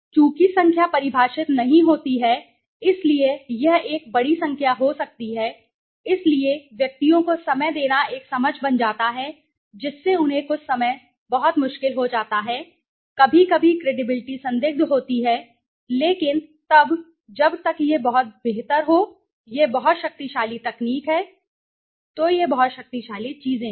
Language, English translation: Hindi, Since the number is not defines it could be a large number, so giving time to individuals becomes an understanding them might some time become very difficult okay, creditability is sometimes questionable but then till it is much better it is very powerful technique right so this are some of the things okay